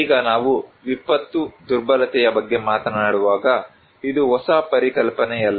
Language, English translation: Kannada, Now when we are talking about disaster vulnerability, this is nothing a new concept